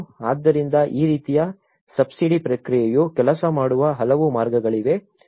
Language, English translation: Kannada, So, there are many ways these kind of subsidy process also worked